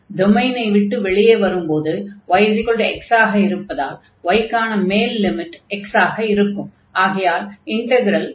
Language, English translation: Tamil, And then when we leave the domain, this is y is equal to x, so we have y is equal to x